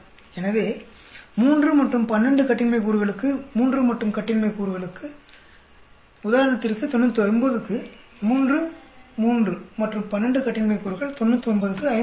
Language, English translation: Tamil, So, for 3 and 12 degrees of freedom, 3 and 12 degrees of freedom, at 99 for example, 3, let us go to 3 and 12 degrees of freedom for 99 is 5